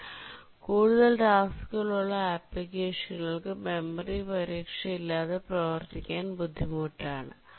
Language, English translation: Malayalam, But for applications having many tasks, it becomes very difficult to work without memory protection